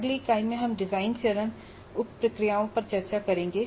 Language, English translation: Hindi, Now in the next unit we will discuss the design phase sub processes